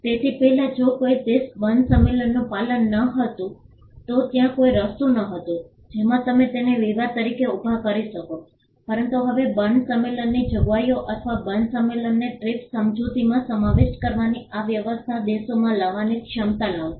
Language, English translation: Gujarati, So, earlier if a country did not comply with the Berne convention there was no way in which you can raise that as a dispute, but now this arrangement of incorporating Berne convention provisions or the Berne convention into the TRIPS agreement brought in countries the ability to raise a WTO dispute